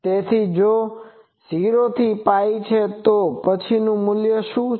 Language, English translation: Gujarati, So, if it is 0 to pi, then what is the value